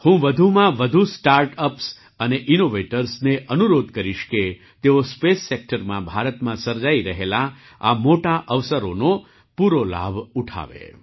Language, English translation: Gujarati, I would urge more and more Startups and Innovators to take full advantage of these huge opportunities being created in India in the space sector